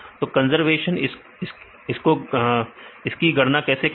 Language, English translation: Hindi, So, how to calculate the conservation score